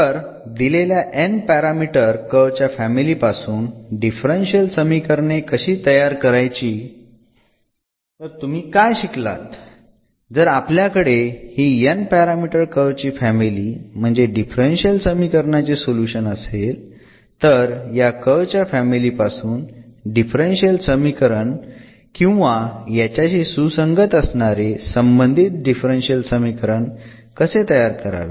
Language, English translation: Marathi, So, how to get the how to do this formation of the differential equation for given n parameter family of curves; so what you have see here if we have this n parameter family of curves; meaning the solution of a differential equation then from this given family of curves how to form the differential equation or the associated differential equation corresponding differential equation whose solution is this given family of curves